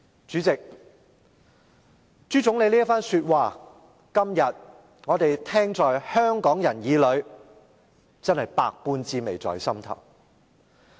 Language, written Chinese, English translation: Cantonese, "主席，朱總理這番說話，香港人今天聽在耳裏，真是百般滋味在心頭。, End of quote President these words of Premier ZHU must have aroused mixed feelings of Hong Kong people today